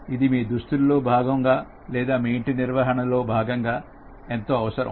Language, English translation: Telugu, It should be really indispensable as part of your costumes or part of your house management